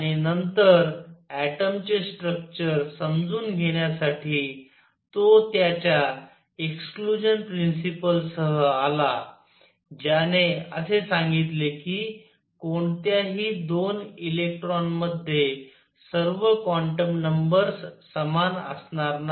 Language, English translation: Marathi, And then to understand the structure of atom next all he came with his exclusion principle, which said no 2 electrons will have all quantum numbers the same